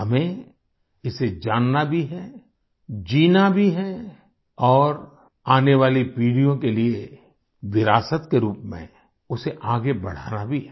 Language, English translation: Hindi, We not only have to know it, live it and pass it on as a legacy for generations to come